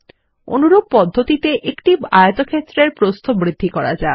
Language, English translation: Bengali, In a similar manner lets increase the width of this rectangle